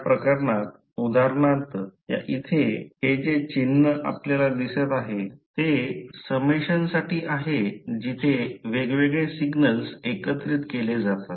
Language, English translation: Marathi, Say for example in this case if you see this particular symbol is for summation where you have the various signals summed up